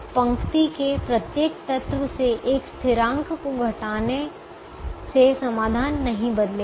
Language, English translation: Hindi, therefore, subtracting a constant from every element of the row will not change the solution